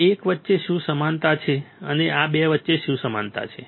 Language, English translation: Gujarati, What is the similarity between this one and what is the similarity between these 2 one